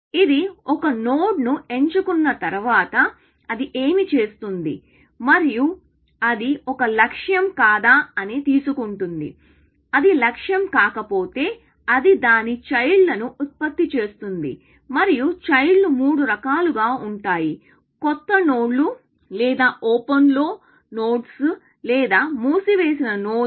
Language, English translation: Telugu, what does it do after it picks a node and it takes for, whether it is a goal or not; if it is not a goal, it generates its children, and the children are of three kinds, either new nodes or nodes on open or nodes on closed